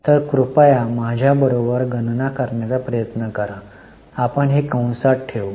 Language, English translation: Marathi, So, please try to calculate along with me, we will put this in bracket